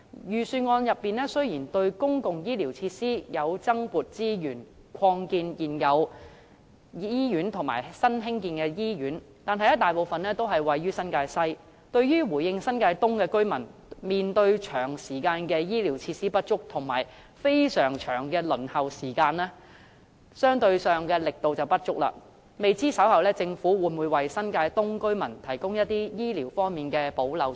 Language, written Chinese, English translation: Cantonese, 預算案雖然為公共醫療設施增撥資源，擴建現有醫院及興建新醫院，但大部分均位於新界西，在回應新界東居民長時間面對醫療設施不足及輪候時間極長的問題方面，相對上力度不足，未知政府稍後會否為新界東居民提供醫療方面的補漏措施？, Although the Budget has allocated additional resources to public health care facilities for the expansion of existing hospitals and construction of new ones most of these hospitals are situated in New Territories West . In comparison the efforts in addressing the persistent lack of health care facilities and extremely long waiting time faced by residents in New Territories East are insufficient . Will the Government introduce any measures to plug the gap in the provision of health care for residents in New Territories East later?